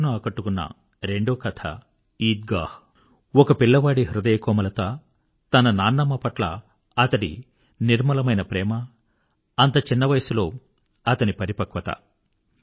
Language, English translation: Telugu, The other story that touched the core of my heart was 'Eidgah'… the sensitivity of a young lad, his unsullied love for his grandmother, such maturity at that early age